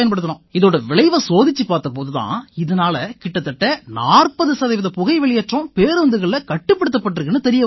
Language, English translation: Tamil, We then checked the results and found that we managed to reduce emissions by forty percent in these buses